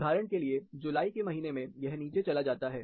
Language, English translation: Hindi, For example, for in the month of July, it goes down